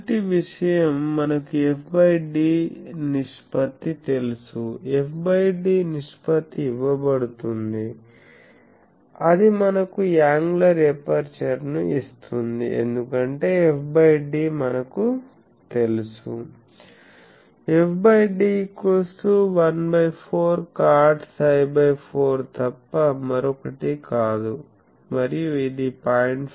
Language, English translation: Telugu, So, first thing is we know f by d ratio, the f by d ratio is given that actually gives us the angular aperture because we know f by d is nothing but one fourth cot psi by 4 and this is specified as 0